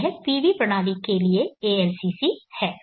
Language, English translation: Hindi, 76x so this is the ALCC for the PV system